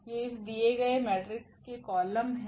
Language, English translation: Hindi, These are the columns of this given matrix